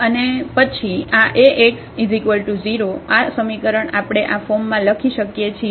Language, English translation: Gujarati, And then this Ax is equal to 0, this equation we can write down in this form